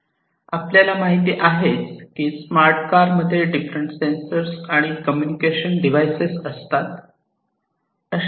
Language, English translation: Marathi, These smart cars are equipped with different sensors and different communication devices